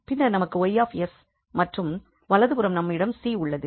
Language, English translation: Tamil, Then we have L y and the right hand side we have L 1